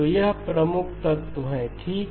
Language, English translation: Hindi, So that is the key element okay